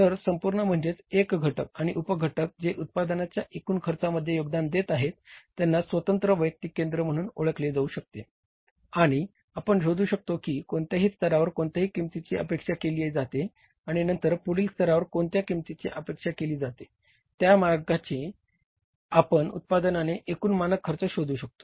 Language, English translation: Marathi, So whole means this components and sub components which are contributing to the total cost of the production they can be identified as independent individual cost centers and we can find out at what level what cost is expected and then at next level what cost is expected